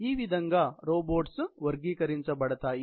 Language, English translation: Telugu, So, these are how robots are generally classified